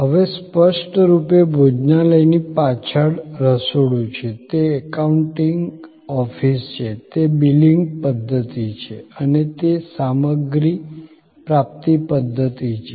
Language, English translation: Gujarati, Now; obviously, the restaurant has at the back, the kitchen, it is accounting office, it is billing system and it is material procurement system